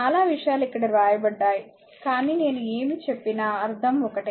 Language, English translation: Telugu, So many things are written here, but whatever I am telling meaning is same right